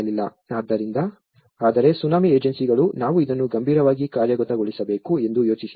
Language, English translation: Kannada, So, but after the Tsunami agencies have thought that we should seriously implement this